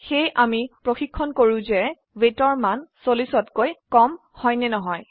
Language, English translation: Assamese, So We are checking if the value of weight is less than 40